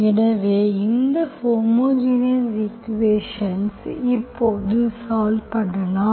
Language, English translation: Tamil, So we will solve this homogeneous equation now